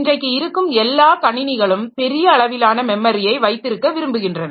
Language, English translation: Tamil, So, most of the computer systems that we have today, so they want to have large amount of memory